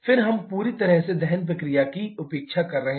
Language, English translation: Hindi, Then we are neglecting the combustion process altogether